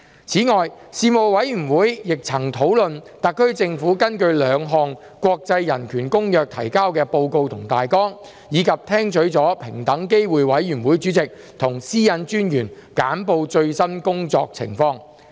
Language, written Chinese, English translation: Cantonese, 此外，事務委員會曾討論特區政府根據兩項國際人權公約提交的報告及大綱，以及聽取了平等機會委員會主席和私隱專員簡報最新工作情況。, In addition the Panel discussed the reports and outlines of topics submitted by the SAR Government under the two international covenants on human rights and received briefings by the Chairperson of the Equal Opportunities Commission and the Privacy Commissioner for Personal Data on their latest work